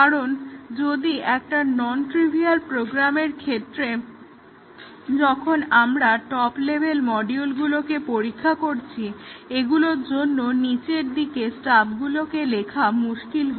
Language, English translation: Bengali, Because if for a non trivial program, when we are testing the top level modules, writing stubs for those way down would be difficult